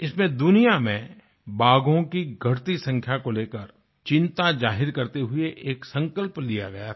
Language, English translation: Hindi, At this summit, a resolution was taken expressing concern about the dwindling tiger population in the world